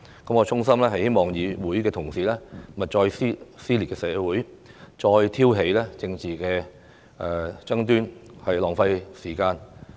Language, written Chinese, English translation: Cantonese, 我衷心希望議會同事勿再撕裂社會，別再挑起政治爭端，浪費時間。, I sincerely hope Honourable colleagues will stop ripping society apart and wasting time by stirring up political disputes